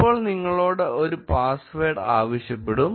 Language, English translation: Malayalam, Now, you will be prompted for a password